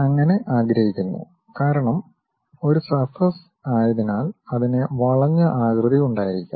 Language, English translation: Malayalam, And, we would like to because it is a surface it might be having a curved shape